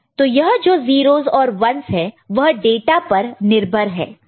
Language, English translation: Hindi, So, what will be those 0s and 1s, of course it will depend on the data, right